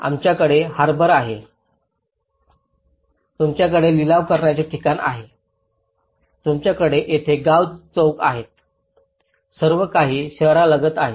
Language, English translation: Marathi, We have the harbour here, you have the auction place here, you have the village square here everything is near to the city